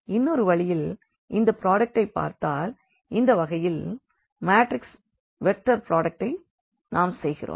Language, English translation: Tamil, So, this is another way of looking at this product here because, in this case we had the matrix vector product